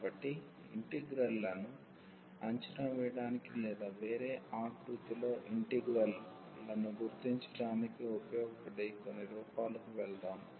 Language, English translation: Telugu, So, let us just go through some forms that could be useful to evaluate the integrals or to recognize integrals in a different format